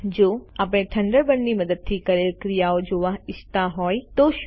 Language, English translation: Gujarati, And what if we want to view the the actions that we did using Thunderbird